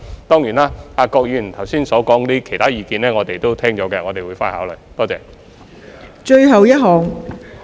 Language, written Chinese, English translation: Cantonese, 當然，郭議員剛才提出的其他意見，我們已聽到，並會回去考慮。, Certainly we have heard and will subsequently consider the other views raised by Mr KWOK just now